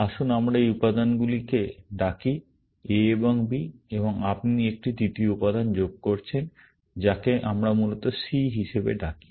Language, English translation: Bengali, Let us call these elements, A and B, and you are adding a third element, which let us call as C, essentially